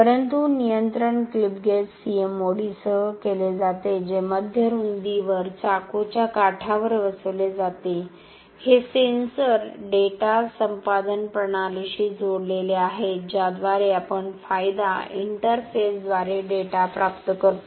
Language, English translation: Marathi, But the control is done with the clip gauge CMOD, which is mounted onto the knife edge at the mid width; these sensors are connected to the data acquisition system through which we acquire data through an advantage interface